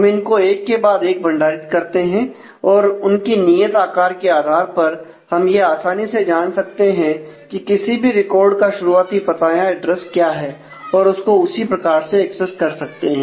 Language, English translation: Hindi, So, we store them one after the other and based on the fixed size, we can easily know what is the starting address of any record and we can access it accordingly